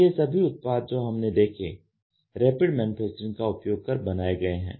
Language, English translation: Hindi, So, these are all some of the products which have been made under Rapid Manufacturing